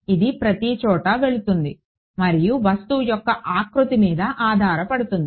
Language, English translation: Telugu, It will go everywhere and why depending on the shape of the object